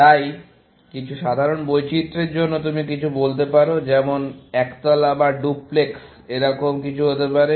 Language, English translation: Bengali, So, just to take some simple variations, you might say something, like single storey or a duplex; these might be choices